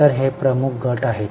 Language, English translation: Marathi, So, this is a major structure